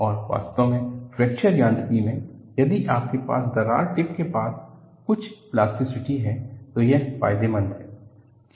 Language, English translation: Hindi, And, in fact in Fracture Mechanics, if you have some plasticity near the crack tip, it is beneficial